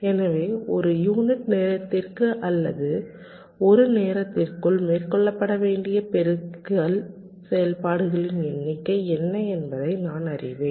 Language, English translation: Tamil, so i know what kind of or what is the number of multiplication operations that are required to be carried out per unit time or within a time t